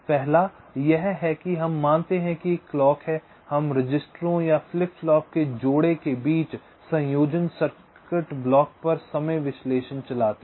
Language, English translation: Hindi, first is that we assume that there is a clock and we run timing analysis on the combination circuit block between pairs of registers of flip flops